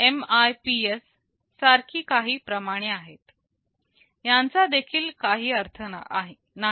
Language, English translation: Marathi, There are some measures like MIPS; this also does not mean anything